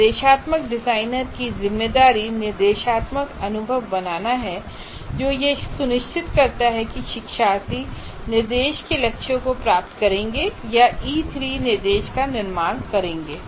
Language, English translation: Hindi, And the responsibility of the instructional designer is to create instructional experiences which ensure that the learners will achieve the goals of instruction or what you may call as E3, create E3 instruction